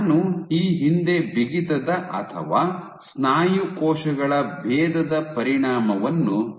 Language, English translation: Kannada, So, I had previously discussed the effect of stiffness or muscle cell differentiation